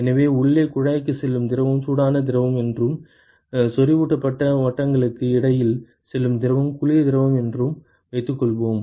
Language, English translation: Tamil, So, let us assume that the fluid which is going to the inside tube is the hot fluid and the fluid which is going through the between the concentric circles is the, concentric cylinders is the cold fluid ok